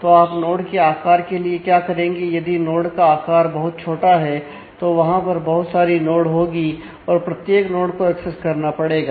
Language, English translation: Hindi, So, what would you like to make this node size, if we make the node size too small, then there will be too many nodes and every node will have to be accessed